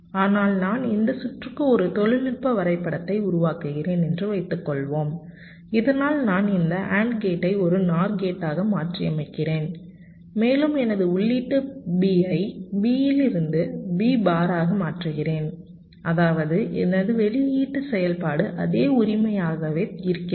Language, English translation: Tamil, but suppose i make a technology mapping of this circuits like this, so that i modify this and gate into a nor gate, and i change my input b from b to b bar, such that my, my output function remains the same